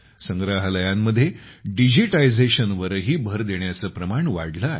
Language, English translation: Marathi, The focus has also increased on digitization in museums